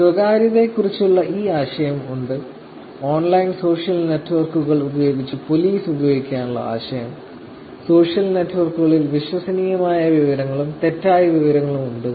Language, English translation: Malayalam, So, there is this whole idea of privacy the whole idea of using policing and online social networks, there is also credible information, misinformation on social network